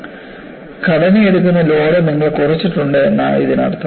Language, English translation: Malayalam, So, that means, you have reduced the load that would be taken by the structure